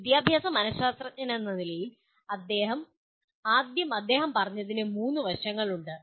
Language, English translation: Malayalam, And what he has, first he said as an educational psychologist, there are three aspects